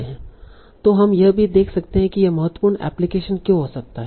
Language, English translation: Hindi, So now, so we can also see why this might be very important application